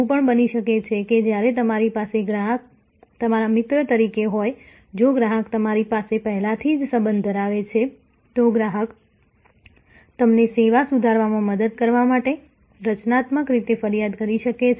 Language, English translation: Gujarati, They may also very, this is when they have the customer as your friend, if the customer you have already have a relationship, the customer may complain in a constructive manner to help you to improve the service, to help you to find the gaps